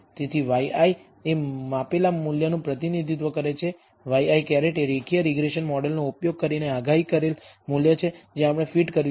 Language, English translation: Gujarati, So, y i represents the measured value, y i hat is the predicted value using the linear regression model that we are fitted